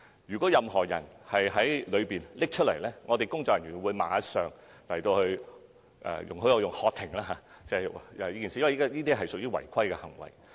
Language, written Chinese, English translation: Cantonese, 如果任何人在投票間取出器材，工作人員會立刻"喝停"——請容許我採用這一詞，因為這屬違規行為。, Anyone taking out any such devices in the voting booths will immediately be ordered by polling staff to stop . Please pardon me for using this word because doing so is against the rules